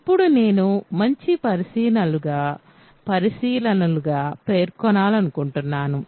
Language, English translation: Telugu, So, now I want to mention as nice observations